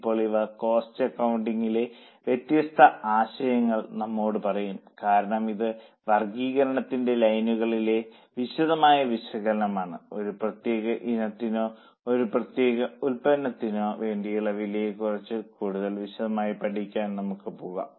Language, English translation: Malayalam, Now, this will tell us different chapters in cost accounting because this is a detailed analysis on the lines of the classification we can go for more detailed study of a cost for a particular item or for a particular product